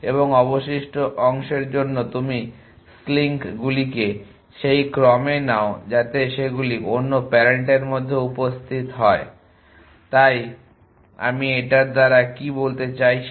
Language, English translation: Bengali, And for the remaining part you take the slinks in the order in which they appear in the other parent so what do I mean by that